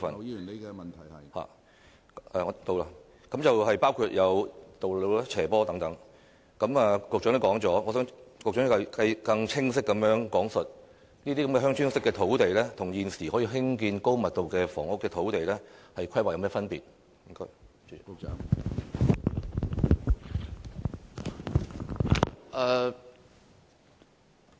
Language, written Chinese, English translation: Cantonese, 雖然局長已經回答過這方面的問題，但我想局長更清晰講述這些作"鄉村式發展"的土地，與現時可以興建高密度房屋的土地，在規劃上有何分別？, Although the Secretary has answered questions in this respect I would like the Secretary to elaborate more explicitly on the difference in planning between these VTD sites and the existing sites that can be used for high - density housing